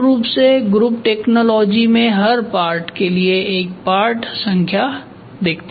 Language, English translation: Hindi, So, basically in group technology for every part if you see there is a part number